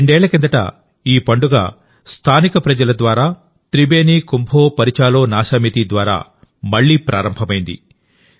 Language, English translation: Telugu, Two years ago, the festival has been started again by the local people and through 'Tribeni Kumbho Porichalona Shomiti'